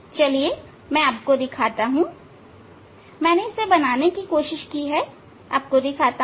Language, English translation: Hindi, Just let me show I have I tried to draw I tried to draw it just let me show you